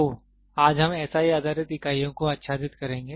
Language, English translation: Hindi, So, today we will be covering SI based units